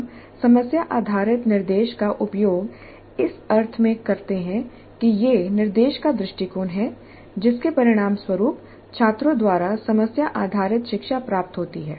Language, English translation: Hindi, We use problem based instruction in the sense that it is the approach to instruction that results in problem based learning by the students